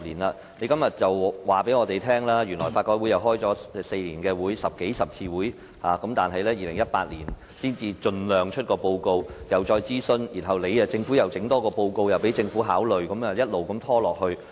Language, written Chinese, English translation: Cantonese, 今天，局長告訴我們，法改會轄下小組委員會在這4年舉行了數十次會議，會盡量在2018年發表報告並進行諮詢，然後又再發表報告書供政府考慮，一直拖下去。, Today the Secretary told us that the subcommittees set up by LRC had held dozens of meetings in the last four years and they would endeavour to publish reports for consultation in 2018 and then submit reports to the Government for consideration . The work just dragged on and on